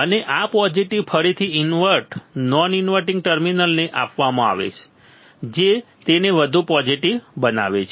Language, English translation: Gujarati, And this positive will again; we fed to the invert non inverting terminal making it more positive right